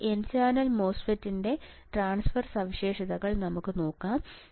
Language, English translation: Malayalam, Now, let us see the transfer characteristics of the n channel MOSFET